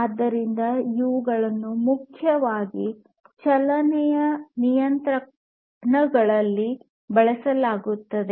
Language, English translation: Kannada, So, these are primarily used in motion control applications